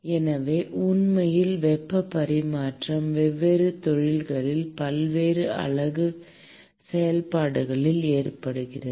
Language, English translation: Tamil, So, in fact, heat transfer occurs in the various unit operations in different industries